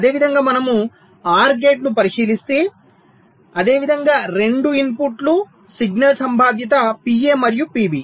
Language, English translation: Telugu, similarly, if we look at an or gate, same way: two inputs, the signal probabilities are pa and pb